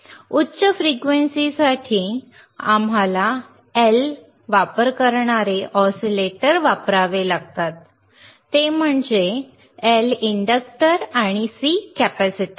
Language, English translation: Marathi, For higher frequency we have to use oscillators that are using L, that is inductor and C, is a capacitor right